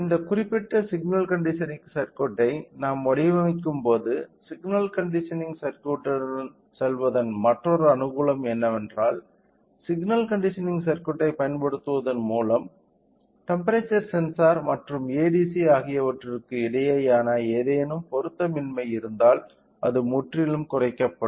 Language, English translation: Tamil, And, not only that when we are designing this particular signal conditioning circuit the another advantage of going with signal conditioning circuit is that the any mismatch between the temperature sensor and ADC will be completely minimised by using a signal conditioning circuit